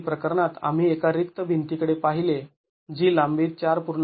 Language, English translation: Marathi, In the previous case we looked at one blank wall which was 4